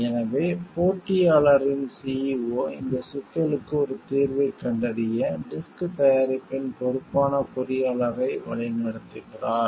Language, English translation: Tamil, The CEO of the competitor therefore, directs the engineer in charge of the disk product to find a solution for this problem